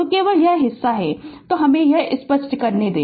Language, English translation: Hindi, So, only this part is there so let me clear it